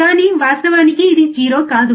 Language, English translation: Telugu, But in reality, this is not 0